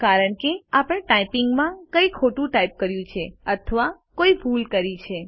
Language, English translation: Gujarati, Thats because we have mistyped or made an error in typing